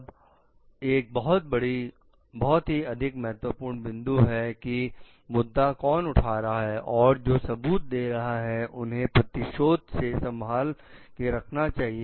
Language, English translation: Hindi, Like then, another very very important point is one who is raising the issue, giving the evidence should we protect it from reprisal